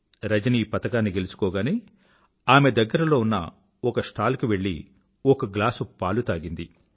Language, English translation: Telugu, The moment Rajani won the medal she rushed to a nearby milk stall & drank a glass of milk